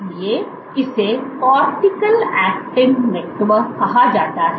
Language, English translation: Hindi, So, this is called the cortical actin network